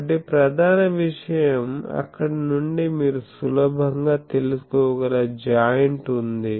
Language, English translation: Telugu, So, main thing is from there the joint one you can easily find out